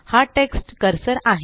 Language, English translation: Marathi, This is the text cursor